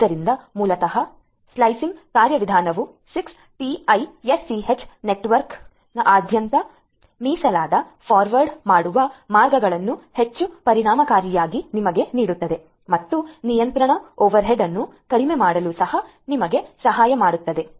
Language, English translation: Kannada, So, basically the slicing mechanism will give you dedicated forwarding paths across the 6TiSCH network in a much more efficient manner and will also help you in reducing the control overhead